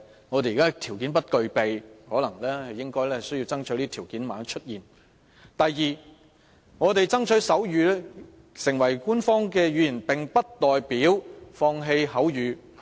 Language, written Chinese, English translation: Cantonese, 我們現在不具備條件，但應要爭取這條件的出現；第二，我們爭取手語成為官方語言，並不代表放棄口語。, At present we do not have the necessary conditions but we should strive to secure the condition . Secondly the fact that we strive to make sign language an official language does not mean that we will forsake spoken language